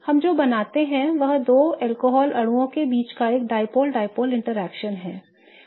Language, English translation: Hindi, What we create is a dipole dipole interaction between the two alcohol molecules